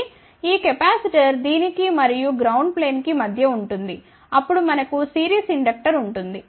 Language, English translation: Telugu, So, a capacitor is between this one and the ground plane, then we have a series inductor